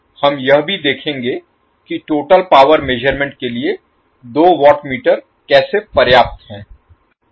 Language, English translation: Hindi, So we will also see that how two watt meter is sufficient to measure the total power